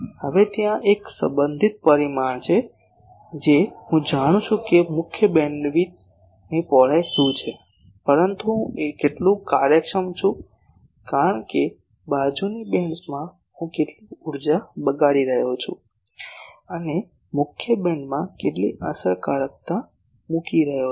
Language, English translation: Gujarati, Now, there is related parameter that, I know that what is the main beams width, but how much efficient I am, because that how much energy I am wasting in the side bands and the how much efficiently putting into the main beam